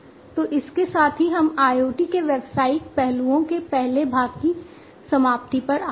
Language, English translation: Hindi, So, with this we come to an end of the first part of the business aspects of IoT